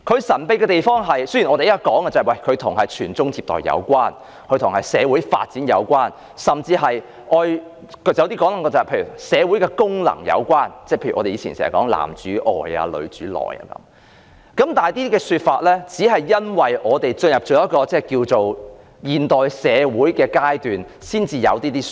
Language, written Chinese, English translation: Cantonese, 雖然當今社會認為，婚姻制度與傳宗接代和社會發展有關，甚至與社會功能有關，例如過往經常強調的"男主外，女主內"，但類似說法是在社會踏入現代階段才出現的。, Society today perceives the marriage institution as something related to procreation and social development and even to social functions such as the function of men as breadwinners and women as homemakers so often stressed in the past . But such perceptions did not come into being until society entered the modern era